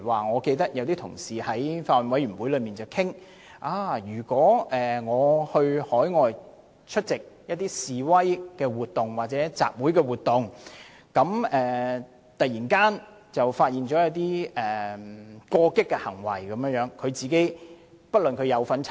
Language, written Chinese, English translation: Cantonese, 我記得有同事曾在法案委員會提出，如果有香港居民前往海外出席示威活動或集會活動，現場突然有人出現過激行為，該名居民是否須承擔責任。, I remember that in the Bills Committee a Member raised the question that if a Hong Kong resident went overseas to attended a demonstration or an assembly did he have to bear any liability if some people suddenly committed certain extreme acts at the scene